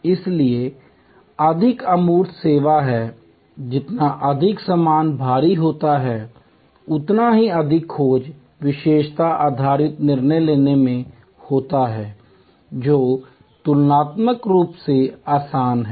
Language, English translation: Hindi, So, more tangible is the service, the more goods heavy is the offering, the more search attribute based decision making taking place which is comparatively easier